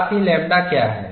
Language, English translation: Hindi, As well as, what is lambda